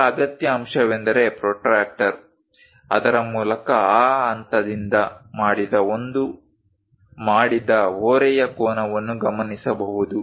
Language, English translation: Kannada, The other essential component is protractor through which one can note the inclination angle made by that point